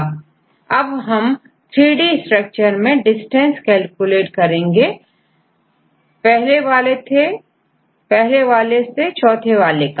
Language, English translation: Hindi, Now, in the 3D structure you can calculate the distance from the first one and the forth one